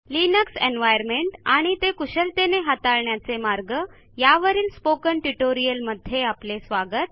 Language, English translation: Marathi, Welcome to this spoken tutorial on the Linux environment and ways to manupulate it